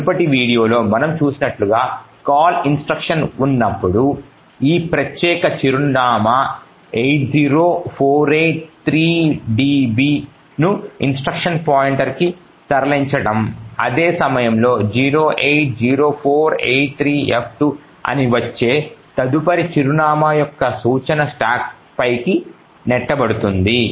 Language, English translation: Telugu, So as we have seen in the previous video when there is a call instruction what is done is that this particular address 80483db is moved into the instruction pointer at the same time the instruction of the next address that is 080483f2 gets pushed on to the stack